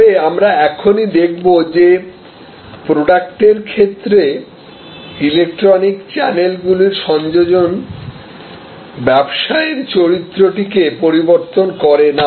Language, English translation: Bengali, But, we will just now see that the simple addition of electronic channels in case of goods or products has not altered the character of the business